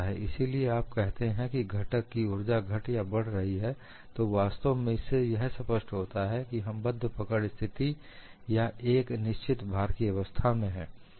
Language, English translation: Hindi, So, when you say strain energy in component decreases or increases that is actually dictated by, are we having a fixed grip situation or a constant load situation